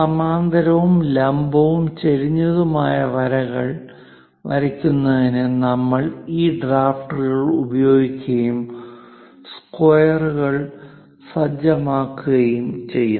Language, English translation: Malayalam, To draw parallel, perpendicular, and inclined lines, we use these drafter along with set squares